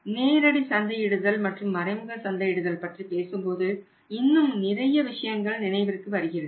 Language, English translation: Tamil, And when you talk about the direct marketing and indirect marketing there are number of other things also to be to be considered in mind